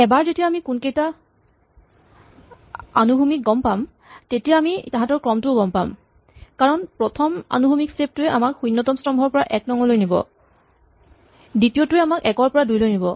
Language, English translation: Assamese, Now once we know which ones are horizontal we know what sequence they come in because the first horizontal step takes us from column 0 to column 1, second 1 takes us from one to 2